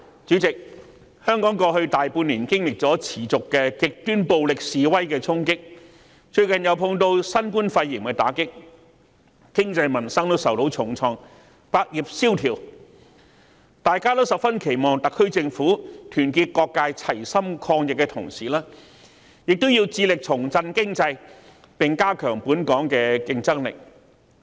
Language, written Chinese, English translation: Cantonese, 主席，香港在過去大半年持續經歷了極端暴力示威的衝擊，最近又面對新冠肺炎的打擊，經濟和民生均受重創，以致百業蕭條，大家都十分期望特區政府團結各界齊心抗疫，同時致力重振經濟，提高本港的競爭力。, Chairman both the economy and peoples livelihood have been hit hard as Hong Kong has experienced the impact of the extremely violent protests in the past six months or so coupled with the blow dealt by the novel coronavirus pneumonia recently . This has resulted in a slump of business in various trades . All of us have high hopes on the SAR Government to unite all sectors to fight against the epidemic together while at the same time striving to revive the economy and enhance the competitiveness of Hong Kong